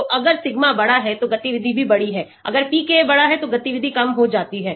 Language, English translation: Hindi, So, if sigma is larger, activity is also larger, if PKa is larger, the activity goes down